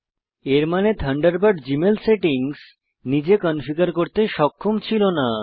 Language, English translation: Bengali, As Thunderbird has already configured Gmail settings correctly, we will not change them